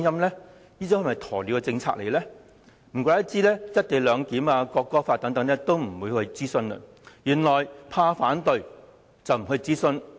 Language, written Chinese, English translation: Cantonese, 難怪政府未有就"一地兩檢"和國歌法等事宜進行諮詢，原來是怕反對聲音。, No wonder the Government has not conducted any consultation on issues such as the co - location arrangement and the National Anthem Law for it is afraid of dissenting voices